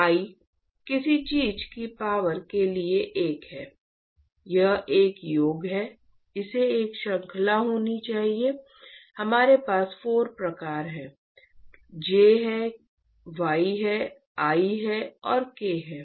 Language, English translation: Hindi, I to the power I to the power of something is one no it is a summation it has to be a series summation we have 4 types there is J, there is Y, there is I, and there is K